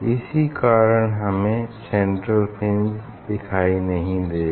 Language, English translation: Hindi, that is why here, and we do not see the central fringe